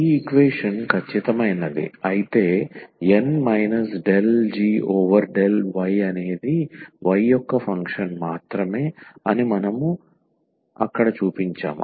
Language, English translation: Telugu, We have also notice or we have shown there that if this equation is exact then this N minus del g over del y is a function of y only